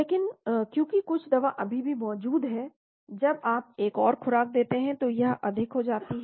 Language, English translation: Hindi, But because some drug is still present when you give another dose it becomes higher